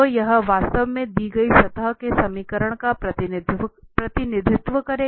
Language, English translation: Hindi, So, that will exactly represent the given surface, the equation of the given surface